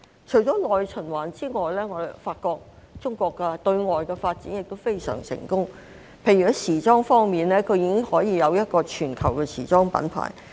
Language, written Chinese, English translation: Cantonese, 除了內循環之外，我發覺中國的對外發展也非常成功，例如在時裝方面，已經有一個全球的時裝品牌。, In addition to internal circulation I notice that China has also achieved great success in external development . For example in fashion it has a global fashion brand